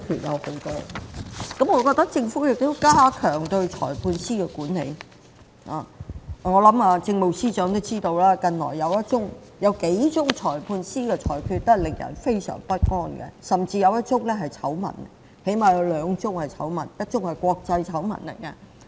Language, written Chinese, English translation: Cantonese, 我認為政府應加強對裁判官的管理，我想政務司司長也知道，近年有幾宗裁判官的裁決非常令人不安，甚至有兩宗是醜聞，一宗更是國際醜聞。, I think the Government should step up the management of Magistrates . I think the Chief Secretary may also know that in recent years the judgments handed down by the Magistrates in a few cases were rather unsettling . Two of the cases were scandals one of which might even be an international scandal